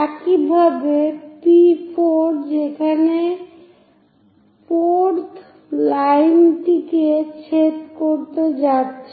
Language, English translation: Bengali, Similarly, P4 where 4th one and generate a line going to intersect